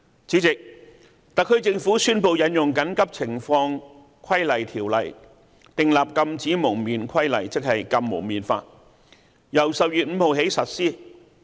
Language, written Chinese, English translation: Cantonese, 主席，特區政府宣布引用《緊急情況規例條例》訂立《禁止蒙面規例》，由10月5日起實施。, President the SAR Government announced the enactment of the Prohibition on Face Covering Regulation by invoking the Emergency Regulations Ordinance on 5 October